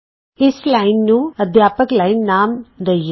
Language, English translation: Punjabi, Let us name this line as Teachers line